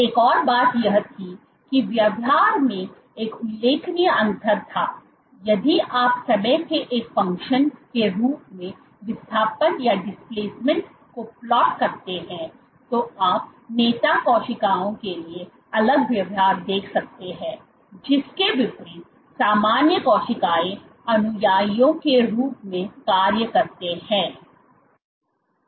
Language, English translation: Hindi, Another thing was there was a notable difference there was a notable difference if you think the behavior, if you plot the displacement as a function of time you could see different behavior for the leader cells and the as opposed to the general cells which served as the followers